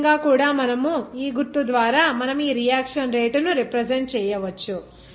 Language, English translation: Telugu, In this way also by this symbol you can represent this reaction rate